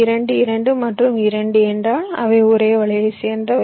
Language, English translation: Tamil, two, two and two means they belong to the same net